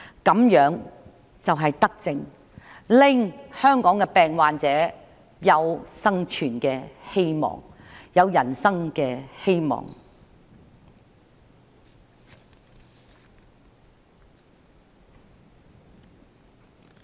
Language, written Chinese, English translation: Cantonese, 這樣就是德政，令香港的病患者有生存的希望，有人生的希望。, These are benevolent policies to bring hope of survival to the sick in Hong Kong giving them the hope of life